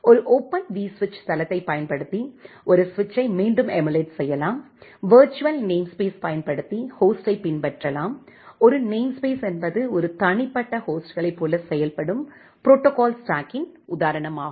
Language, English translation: Tamil, Then a switch can again be emulated using a Open vSwitch platform, host can be emulated using a virtual namespace, a namespace is basically instance of the protocol stack which works like a individual hosts